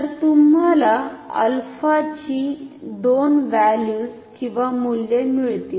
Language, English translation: Marathi, So, you will get 2 values of alpha; alpha 1 and alpha 2